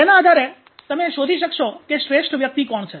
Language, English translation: Gujarati, So how do that you can find out who is the best person